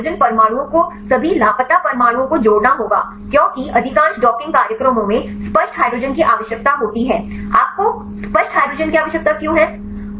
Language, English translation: Hindi, So, in this case you have to add the hydrogen atoms right all the missing atoms because most are docking programs require the explicit hydrogen why do you need explicit hydrogen